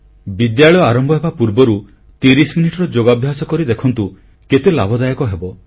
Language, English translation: Odia, The practice of Yoga 30 minutes before school can impart much benefit